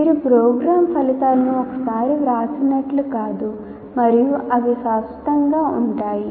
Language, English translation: Telugu, So it is not as if you write the program outcomes once and they are permanent